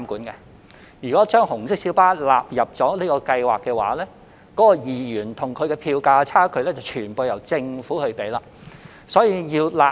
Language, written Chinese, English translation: Cantonese, 如果把紅色小巴納入優惠計劃，其票價與2元票價的差距便需由政府全數承擔。, If red minibuses are to be included in the Scheme any discrepancies between their fares and the 2 fare will have to be borne by the Government in full amount